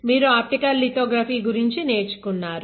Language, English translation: Telugu, You have learned about optical lithography right